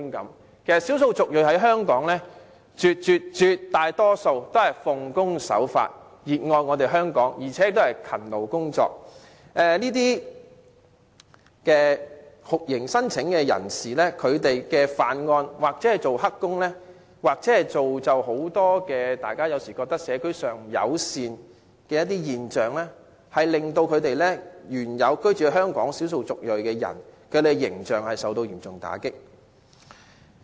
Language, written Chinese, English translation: Cantonese, 其實，在港的少數族裔人士絕大多數都奉公守法、熱愛香港、勤勞工作，但因酷刑聲請者犯案、做"黑工"而製造很多社區不友善的現象，令本來居住在香港的少數族裔人士的形象受到嚴重打擊。, In fact the vast majority of the ethnic minorities in Hong Kong are law - abiding people who love Hong Kong and work very hard . Yet the image of those people belonging to ethnic minorities originally residing in Hong Kong has been badly tarnished because of the emergence of many non - community - friendly phenomena resulting from those non - refoulement claimants acts of committing criminal offences and taking up illegal employment